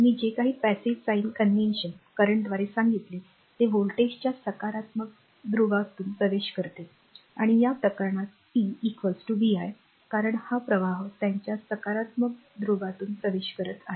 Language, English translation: Marathi, Now whatever I told right by the passive sign convention current enters through the positive polarity of the voltage and this case p is equal to vi, because this current is entering through their positive polarity